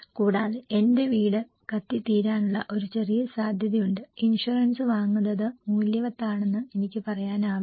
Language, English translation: Malayalam, Also, there is a small chance my house will burn down, I cannot say buying insurance is worth it